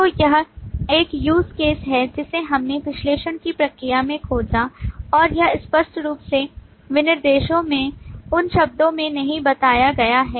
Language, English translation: Hindi, So this is a use case which we discovered in the process of analysis and it is not explicitly stated in those terms in the specifications And we try to put those as include here